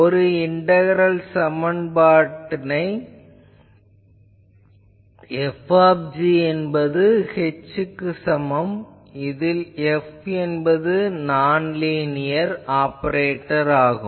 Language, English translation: Tamil, A class of integral equations can be written as F is equal to h where F is a non linear operator